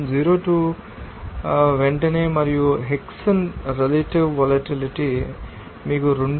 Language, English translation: Telugu, 02 Pentane and Hexane it will give you that relative volatility as a 2